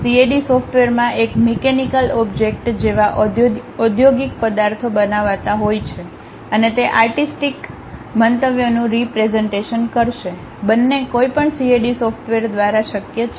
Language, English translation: Gujarati, The CAD software consists of one creating industrial objects such as mechanical objects, and also they will represent artistic views, both are possible by any CAD software